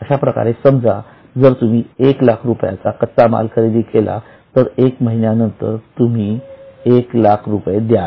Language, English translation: Marathi, So, suppose we have purchased raw material of 1 lakh, we will pay after one month rupees 1 lakh